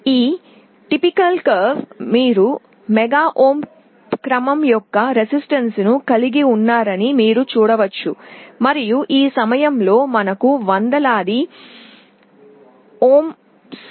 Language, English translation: Telugu, You see in this typical curve here we have a resistance of the order of mega ohms, and on this point we have a resistance of the order of hundreds of ohms